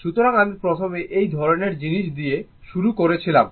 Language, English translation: Bengali, So, I started with this kind of thing first, right